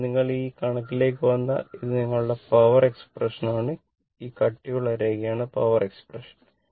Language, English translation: Malayalam, Now, if you come to this figure, this is your power expression, this is thick line is your power expression right